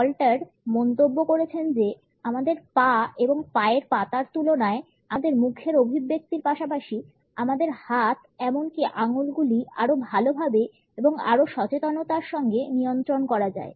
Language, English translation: Bengali, Stalter has commented that in comparison to our legs and feet, our facial expressions as well as our hands and even our fingers have a better and more conscious control